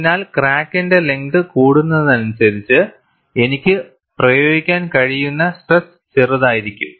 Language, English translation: Malayalam, So, as the crack length increases the stress that I could apply would be smaller and smaller